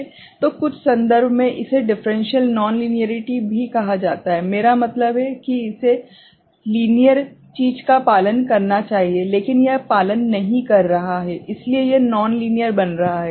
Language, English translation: Hindi, So, in some context, it is also called differential linearity, I mean it should follow linear thing, but it is not following, so it is becoming non linear